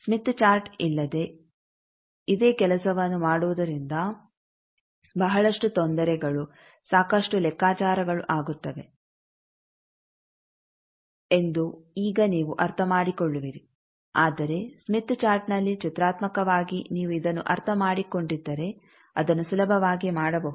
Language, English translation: Kannada, And now you will understand that come doing this same thing without smith chart will be lot of trouble, lot of calculations, but in a smith chart graphically you can do it very easily if you have understood this